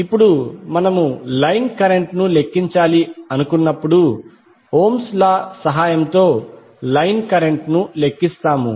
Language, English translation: Telugu, Now when we calculate the line current, we calculate the line current with the help of Ohm's law